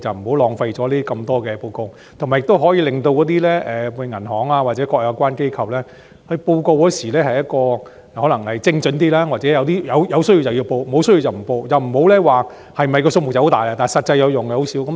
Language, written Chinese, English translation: Cantonese, 這樣便不用提交這麼多報告，亦可以令銀行或各有關機構在匯報時精準一些，又或在有需要時才匯報，沒有需要則不作匯報，而不是像現時般，報告的宗數很多，但實際有用的卻很少。, increase the number of worth pursuing reports? . As such there will be no need to submit so many reports and banks or other relevant institutions can be more precise in their reporting; alternatively they may submit reports on a need basis and make no submissions if there is no need to do so instead of having reports that are numerous in number yet hardly of practical use as now